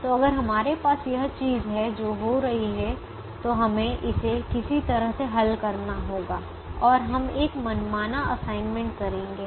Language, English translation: Hindi, so if we have this thing that is happening, then we have to resolve it in some way and we make an arbitrary assignment